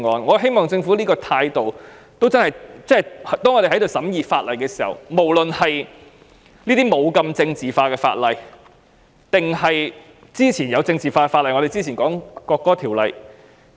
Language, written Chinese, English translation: Cantonese, 我希望政府亦以這種態度審議其他法案，不論是這類不太政治化的法案或是之前政治化的《國歌條例草案》。, I hope that the Government will also adopt such an attitude in scrutinizing other bills be it a less politicized bill or the politicized National Anthem Bill some time ago